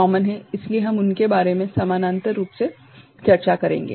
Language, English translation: Hindi, So, we shall discuss them in parallel right